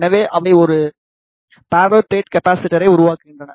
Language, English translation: Tamil, So, they forms a parallel plate capacitor